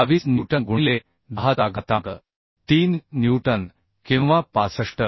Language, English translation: Marathi, 22 newton into 10 to the 3 newton or 65